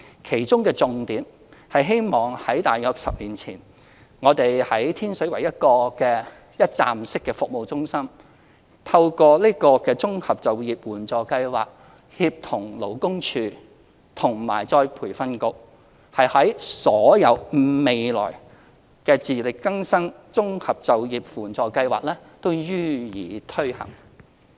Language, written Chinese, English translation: Cantonese, 其中的重點是希望——在大約10年前，我們在天水圍一個一站式服務中心，透過自力更生綜合就業援助計劃協同勞工處與僱員再培訓局提供服務，我們的重點是希望未來所有自力更生綜合就業援助計劃都會予以推行。, One of the focuses is hoping that―in about a decade ago in a one - stop service centre in Tin Shui Wai we coordinated LD with the Employees Retraining Board through IEAPS to provide services . Our focus is that all IEAPS will hopefully be implemented in future